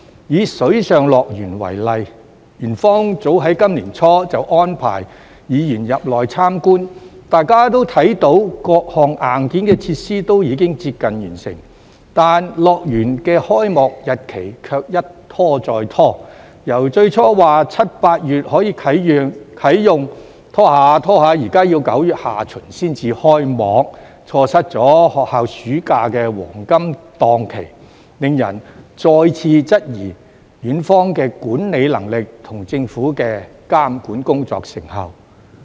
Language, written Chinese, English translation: Cantonese, 以水上樂園為例，園方早於今年年初安排議員入內參觀，大家也看到各項硬件設施都已經接近完成，但樂園的開幕日期卻一拖再拖，由最初說7月、8月可啟用，一直拖延至現在要9月下旬才開幕，錯失學校暑假的黃金檔期，令人再次質疑園方的管理能力和政府監管工作的成效。, When Ocean Park invited Members to visit Water World as early as in the beginning of this year we saw that all of the hardware facilities were nearing completion but its opening date has been postponed time and again . We were initially told that it could be opened in July or August but the date has now been delayed to late September missing the golden time of school summer holiday . This has made people query again the management capability of Ocean Park and the effectiveness of the monitoring work of the Government